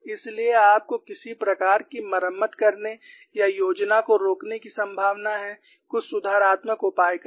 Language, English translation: Hindi, So, you have a possibility to do some kind of a repair or stop the plan, do some corrective measures